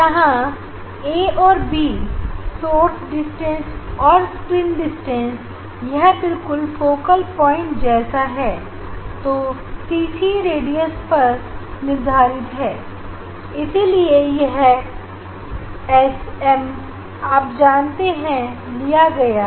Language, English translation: Hindi, here a and b source distance and screen distance this is like just focal point is a depending on the cc radius of this S m you know choosing this one